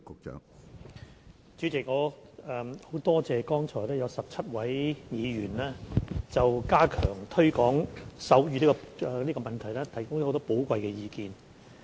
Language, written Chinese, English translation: Cantonese, 主席，我很感謝剛才有17位議員就加強推廣手語提供了很多寶貴意見。, President I am very grateful to the 17 Honourable Members for the many valuable comments they have made on stepping up the promotion of sign language